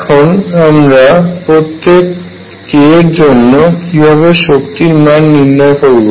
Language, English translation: Bengali, How do I calculate the energy for each k